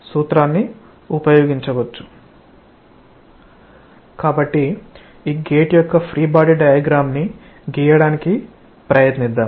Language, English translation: Telugu, So, let us try to draw the free body diagram of this gate